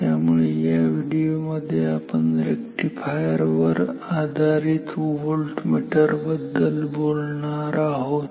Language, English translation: Marathi, So, therefore, in this video we will talk about rectifier based meters